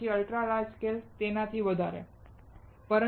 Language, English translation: Gujarati, Then there is the ultra large scale more